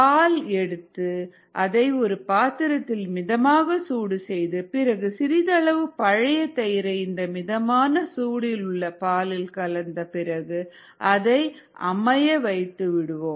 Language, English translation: Tamil, you take milk, you heat it to certain warmth in a vessel and then you add some old curd to this slightly warmish milk and set is set it aside